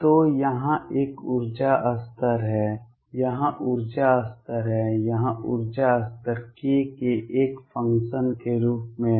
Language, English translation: Hindi, So, there is an energy level here, energy level here, energy level here for as a function of k